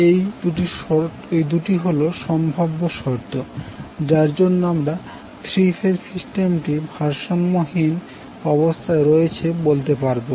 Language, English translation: Bengali, So these are the two possible conditions under which we say that the three phase system is unbalanced